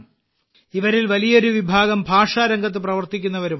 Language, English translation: Malayalam, Among these, a large number are also those who are working in the field of language